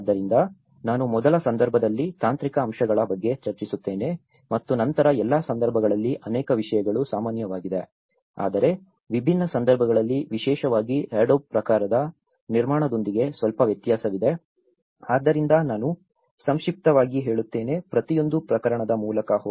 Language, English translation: Kannada, So, I’ll discuss about the technological aspects in the first case and then in because many of the things are common in all the cases but there is a slight variance in different cases especially with the adobe type of construction, so I will just briefly go through each and every case